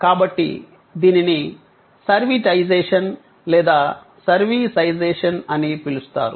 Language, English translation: Telugu, So, this was what then got termed as servitization or servisization